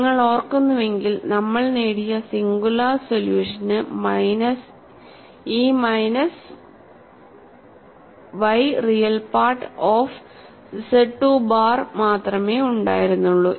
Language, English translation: Malayalam, If you recall, the singular solution which we obtained had only this minus y real part of z 2 bar, these two terms are addition